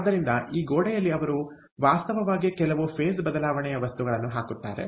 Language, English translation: Kannada, so in this wall, they actually put in some phase change material